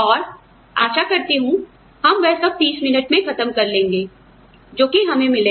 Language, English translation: Hindi, And, hopefully will finish all that in 30 minutes, that will be awarded to us